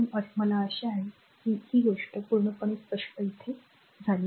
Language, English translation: Marathi, So, hope this thing is totally clear to you so, let me clean this right